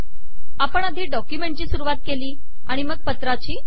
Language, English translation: Marathi, We begin the document and then the letter